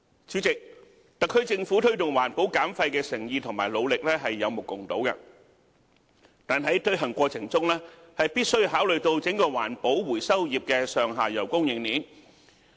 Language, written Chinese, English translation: Cantonese, 主席，特區政府推動環保減廢的誠意和努力是有目共睹的，但在推行過程中，必須考慮到整個環保回收業的上下游供應鏈。, President the sincerity of and efforts by the SAR Government in promoting waste reduction are evident to all . However in the course of implementation consideration must be given to the entire upstream and downstream supply chains of the recycling trade